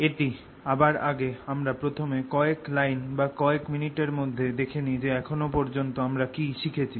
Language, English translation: Bengali, before we do that, let me first review, just in a few lines or a couple of minutes, what we have learnt so far